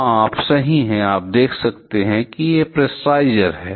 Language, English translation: Hindi, Yeah, you are correct, you can see there is a pressurizer